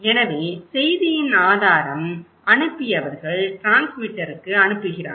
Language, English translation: Tamil, So, the source of message, when the senders, they are sending to the transmitter